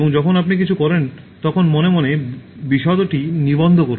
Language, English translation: Bengali, And, when you do something, register details in your mind